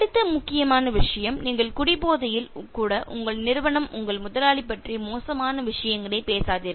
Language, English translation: Tamil, The next important thing: Do not say bad things about your company, your boss even when you are drunk